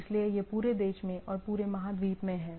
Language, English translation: Hindi, So, it is some sort of across country or across continent